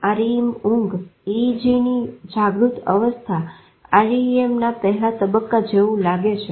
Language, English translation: Gujarati, REM sleep EG resembles wake stage EG and REM EG resembles that of stage one REM